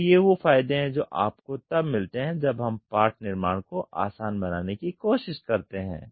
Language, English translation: Hindi, So, these are the advantages you get when we try to make the part fabrication easy